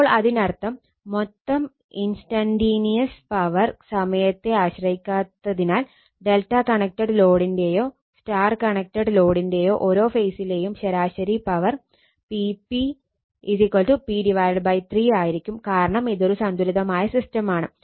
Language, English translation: Malayalam, So, that means, since the total instantaneous power is independent of time I told you, the average power per phase P p for either delta connected load or the star connected load will be p by 3, because it is the balanced system, it is a balanced system